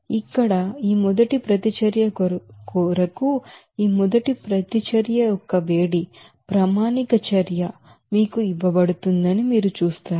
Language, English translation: Telugu, Here, you will see that this first reaction that heat of, standard heat of reaction for this first reaction is given to you